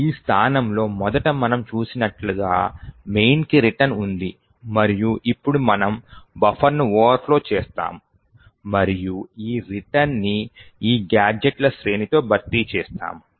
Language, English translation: Telugu, This location originally had the return to main which we had seen and now we overflow a buffer and replace this return to main with this sequence of gadgets